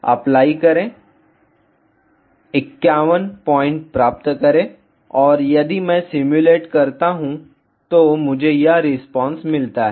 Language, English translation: Hindi, Apply, get 51 points ok and if I simulate I get this response